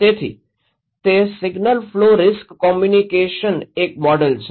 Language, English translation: Gujarati, So, a model of single flow risk communications is that